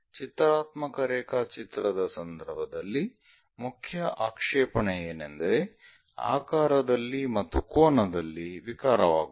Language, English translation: Kannada, In the case of pictorial drawing, the main objection is shape and angle distortion happens